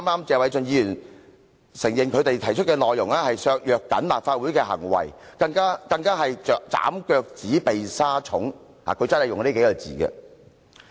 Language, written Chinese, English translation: Cantonese, 謝偉俊議員剛才也承認他們提出的內容會削弱立法會，他更以"斬腳趾避沙蟲"來形容。, Mr Paul TSE also admitted earlier that their proposals would weaken the Legislative Council and he even described their proposals as cutting the toes to avoid the worms